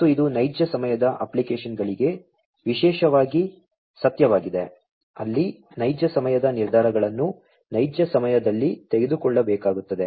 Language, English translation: Kannada, And this is particularly true for real time applications, where there are real time you know decisions will have to be taken in real time